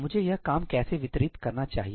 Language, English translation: Hindi, How should I distribute this work